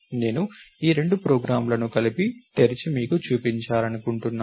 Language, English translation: Telugu, I want to open these two programs together and show you something